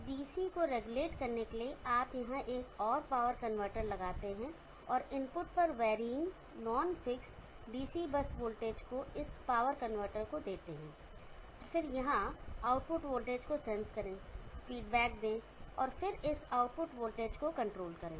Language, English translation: Hindi, In order to regulate the DC you put one more power convertor here and give the input varying nonfiction DC bus voltage to this power convertor, and then sensed output voltage here, feedback and then control this output voltage